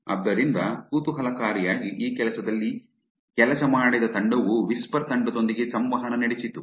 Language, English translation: Kannada, So, interestingly the team that worked on this work also interacted with the whisper team